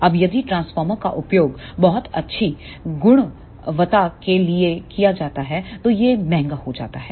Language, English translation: Hindi, Now, if the transformer is used for very good quality then it becomes expensive